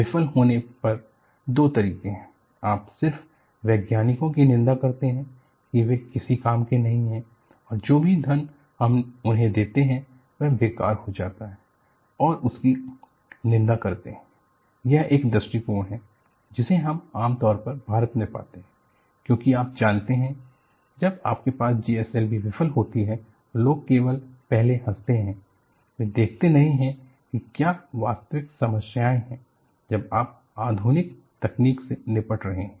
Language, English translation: Hindi, See, there are two ways when a failure happens, you just condemn the scientists are so useless; whatever the funding we give to them, goes down the drain and condemn them and go with your life; this is one approach, which we commonly if come across in India, because you know, when you have GLSV failure, people only first laugh, they do not look at, there are genuine problems, when you are dealing with modern technology